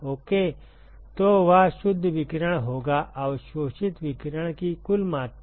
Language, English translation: Hindi, So, that will be the net radiation, the total amount of radiation that is absorbed